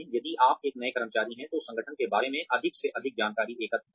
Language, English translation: Hindi, If you are a new employee, collect as much information, about the organization as possible